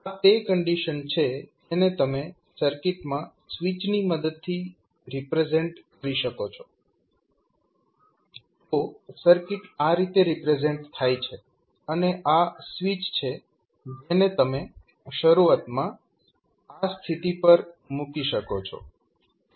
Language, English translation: Gujarati, That is nothing but the condition which you represent with the help of switch in the circuit that the circuit is represented like this and this is the switch which you can initially put at this position